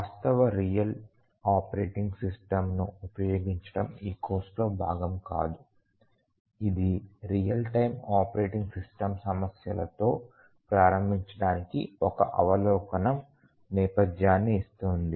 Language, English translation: Telugu, The practice using a actual real operating system is not part of this course, it just gives an overview background to get started with real time operating system issues